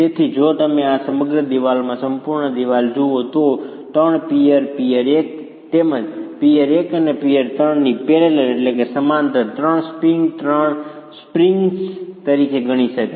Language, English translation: Gujarati, So, if you look at the whole wall, in this whole wall, the three piers, peer one, peer two and peer three, can be considered as three springs in parallel